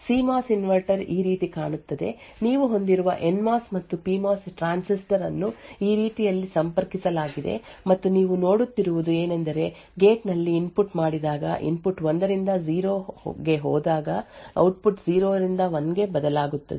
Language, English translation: Kannada, A CMOS inverter look something like this, you have and NMOS and a PMOS transistor which are connected in this manner and what you see is that when the input at the gate, when the input goes from 1 to 0, the output changes from 0 to 1